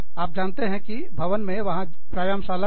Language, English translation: Hindi, You know, in the building, there is a gym